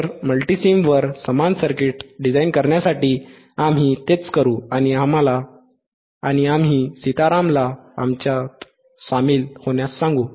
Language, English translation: Marathi, So, for designing the same circuit on the mMulti samesim, we will do the same thing and we will ask Sitaram to join us